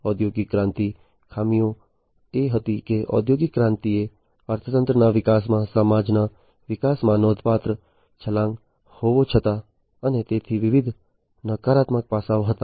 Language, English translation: Gujarati, The drawbacks of industrial revolution was that even though industrial revolution was a significant leap in the growth of economy, in the growth of city society, and so, on there were different negative aspects